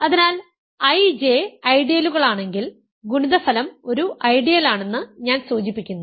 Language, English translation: Malayalam, So, remember if I, J are ideals implies I the product is also an ideal